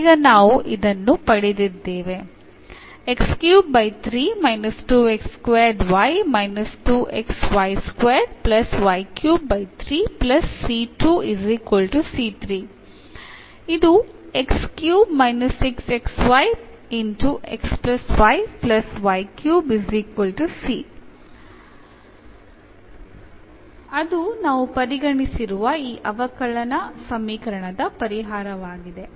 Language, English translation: Kannada, So, that is the solution of this differential equation which we have considered